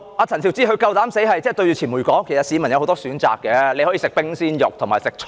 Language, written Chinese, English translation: Cantonese, 陳肇始竟敢面對傳媒說，其實市民有很多選擇，例如可以吃冰鮮肉或蔬菜。, Sophia CHAN dared to tell the media that the people in fact had a lot of choices they could eat chilled meat or vegetables for instance . This is not a problem to me